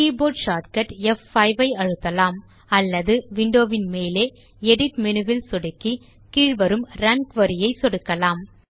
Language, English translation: Tamil, We can use the keyboard shortcut F5, or click on the Edit menu at the top of the window, and then click on Run Query at the bottom